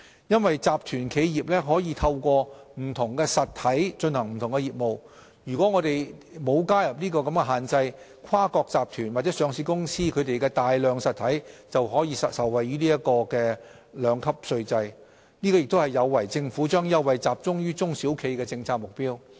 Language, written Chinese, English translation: Cantonese, 由於集團企業可透過不同實體進行不同業務，如果我們不加入有關的限制，跨國集團或上市公司旗下的大量實體便均能受惠於兩級稅制，這亦有違政府將優惠集中於中小企的政策目標。, If the relevant restriction was removed a vast number of entities within a multinational group or listed company would be able to benefit from the two - tiered tax regime given that conglomerates usually carry on different businesses via different entities . This would undermine our policy objective of targeting the tax benefits at SMEs